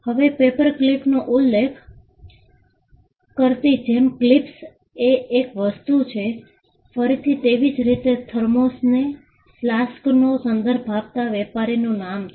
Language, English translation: Gujarati, Now, gem clips referring to paper clips is one thing, thermos again a trade name referring to flasks is another instance